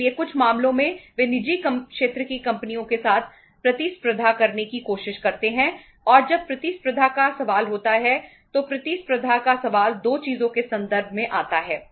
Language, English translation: Hindi, So in some cases they try to compete with the public uh private sector companies and when there is a question of competition, question of competition comes in terms of the 2 things